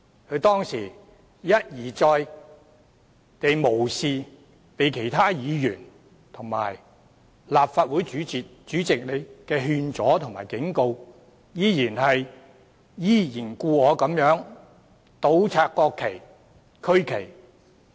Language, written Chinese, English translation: Cantonese, 他當時一而再地無視其他議員和立法會主席的勸阻和警告，依然故我地倒插國旗及區旗。, On that day he repeatedly ignored the advice and warnings of other Members and the President of the Legislative Council insisting on his own way to invert the national flags and regional flags